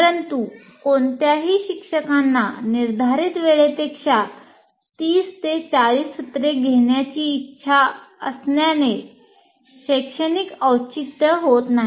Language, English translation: Marathi, But absolutely, academically, there is no justification for any teacher wanting to take 30, 40 sessions beyond what is scheduled